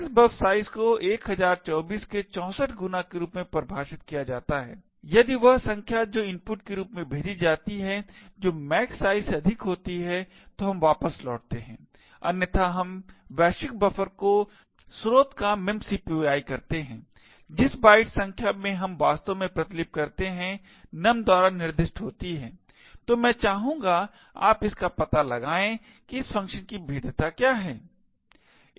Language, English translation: Hindi, Max buf size is defined as 64 times 1024 if num which is passed as input is greater than max size then we return else we do a memcpy of source to the global buffer and the number of bytes we are actually coping is specified by num, so I would like you to find out what the vulnerability of this function is